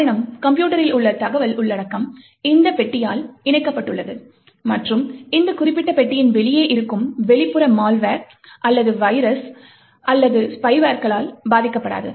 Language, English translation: Tamil, The reason is that, the information content in the system is enclosed by this box and is not affected by the external malware or viruses or spyware, which is outside this particular box